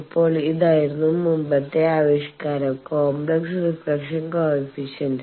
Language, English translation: Malayalam, Now, this is what is the previous expression was the complex reflection coefficient